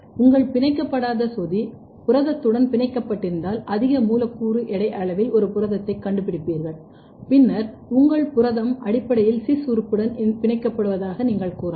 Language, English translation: Tamil, So, now this is your free probe if your free probe is bound with the protein then you will detect a protein or at the higher molecular weight size, then you can tell that your protein is basically binding to the cis element